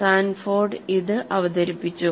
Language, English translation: Malayalam, This was pointed out by Sanford